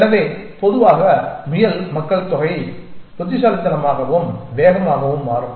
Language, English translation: Tamil, So, in general the rabbit population will become smarter and faster essentially